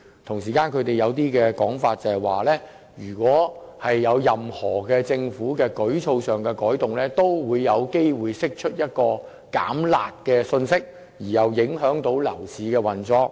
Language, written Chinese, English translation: Cantonese, 同時，政府抱有一種想法，就是如果作出任何舉措上的改動，也有機會釋出一種"減辣"的信息，從而影響樓市運作。, Meanwhile the Government is of the view that any change in its move will possibly be perceived as a signal to relax the curb measures which will in turn affect the operation of the property market